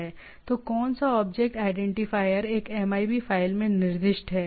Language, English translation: Hindi, So, what is the object identifier is specified in a MIB file